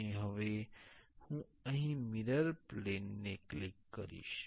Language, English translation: Gujarati, And now I will click here the mirror plane